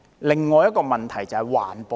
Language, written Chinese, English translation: Cantonese, 另一個問題就是環保。, Another issue is environmental protection